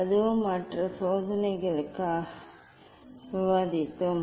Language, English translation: Tamil, that also we have discuss for other experiment